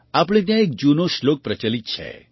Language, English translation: Gujarati, We have a very old verse here